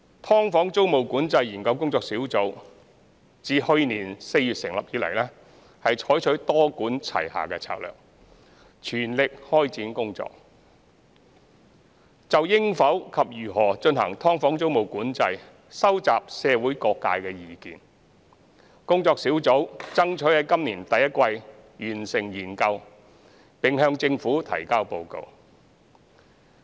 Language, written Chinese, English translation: Cantonese, "劏房"租務管制研究工作小組自去年4月成立以來，採取多管齊下的策略，全力開展工作，就應否及如何進行"劏房"租務管制收集社會各界的意見。工作小組爭取在今年第一季完成研究，並向政府提交報告。, Since its establishment in April last year the Task Force for the Study on Tenancy Control of Subdivided Units has adopted a multi - pronged approach in pressing ahead with its work to collect views of various sectors on whether and how tenancy control of subdivided units should be implementedThe Task Force strives to complete the study in the first quarter of this year and will submit its report to the Government